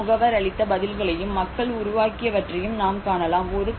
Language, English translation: Tamil, You can see the responses what the aid agencies have given, and what people have developed